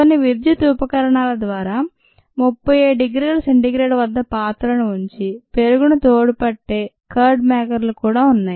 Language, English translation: Telugu, there are also curd makers that maintain this vessel at thirty seven degree c, just by some electrical means